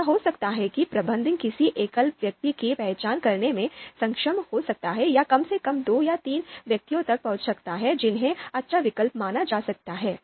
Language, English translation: Hindi, So it might so happen that manager might be able to identify a single best person or at least may arrive at two or three persons which are having the you know you know can be considered as good alternatives